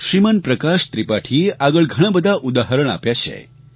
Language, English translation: Gujarati, Shriman Prakash Tripathi has further cited some examples